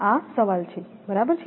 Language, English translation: Gujarati, This is the problem right